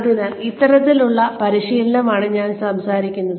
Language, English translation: Malayalam, So, this is the kind of training, I am talking about